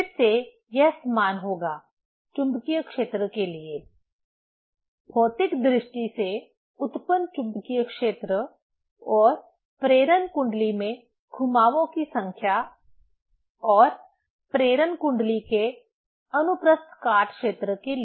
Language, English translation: Hindi, Again it will be same for magnetic field; the generated magnetic field physically and number of turns in the induction coil and cross section area of the induction coil